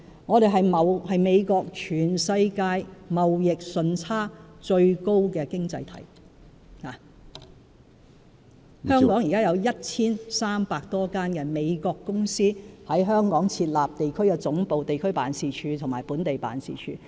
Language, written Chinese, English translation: Cantonese, 我們是美國全世界貿易順差最高的經濟體，現時有 1,300 多間美國公司在香港設立地區總部、地區辦事處及本地辦事處。, We are the economy against which the United States records the highest trade surplus in the world and at present some 1 300 United States companies have set up regional headquarters regional offices and local offices in Hong Kong